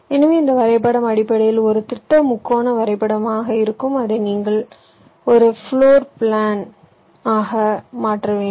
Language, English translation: Tamil, so this graph will essentially be a planer triangular graph, which you have to translate into into a floor plan